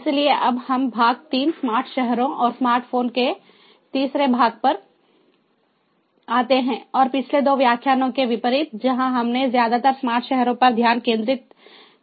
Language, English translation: Hindi, so we now come to the part three, the third part of smart cities and smart phones, and, unlike in the previous two lectures, where we focused mostly on smart cities, here in this particular lecture we are going to focus on smart homes